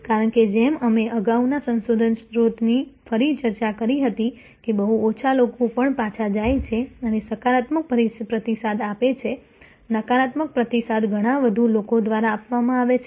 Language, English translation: Gujarati, Because, as we discussed again earlier research source that a very few people even they go back and give positive feedback, the negative feedback’s are given by many more people